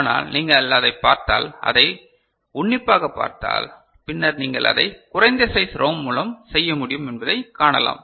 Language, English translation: Tamil, But, if you look at it, look at it closely then perhaps you can see that you can do with less lesser size ROM as well ok